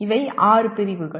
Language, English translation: Tamil, These are six categories